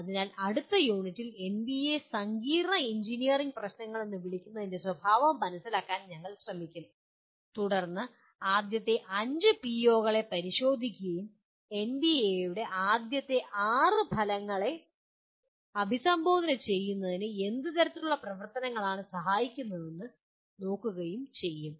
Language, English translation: Malayalam, So in the next unit we will try to understand the nature of what the NBA calls complex engineering problems and we then we look at the first five POs and try to look at what kind of activities facilitate addressing the first six outcomes of NBA